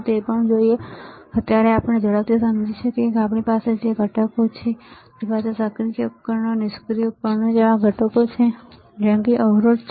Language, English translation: Gujarati, So, for now let us quickly understand that we have components, we have resistors like components like active devices passive devices